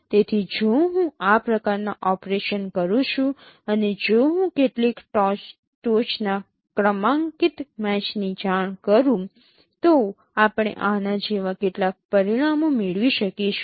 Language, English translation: Gujarati, So if I perform so this kind of operations and if I report few top ranking matches we can get some results like this